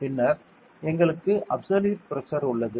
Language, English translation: Tamil, And then we have the absolute pressure